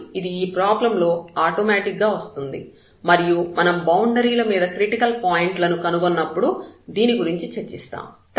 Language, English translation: Telugu, But, this will automatically come in the problem and we discuss when we find the critical points on the boundaries